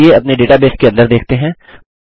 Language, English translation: Hindi, Let us look inside our database